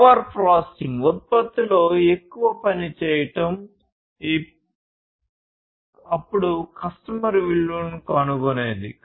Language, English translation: Telugu, Over processing doing more work in the product, then whatever basically the customer finds value in